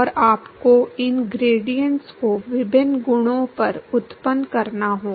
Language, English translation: Hindi, And you will have to generate these gradients at various properties